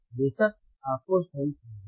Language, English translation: Hindi, oOff course you have to listen right